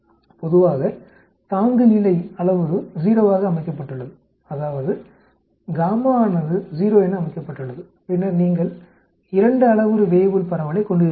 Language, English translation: Tamil, Generally the threshold parameter is set to 0 that means the gamma is set to 0 then you end up having a 2 parameter Weibull distribution